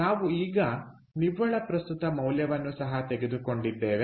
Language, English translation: Kannada, now, what is the net present value